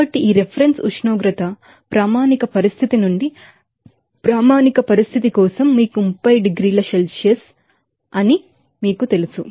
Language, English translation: Telugu, So, this reference temperature maybe you know that for standard from standard condition like it may be you know 30 degree Celsius